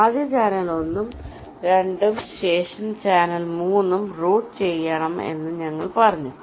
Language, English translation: Malayalam, so we said that we have to first route channel one and two, followed by channel three